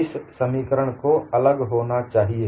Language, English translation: Hindi, This expression has to be different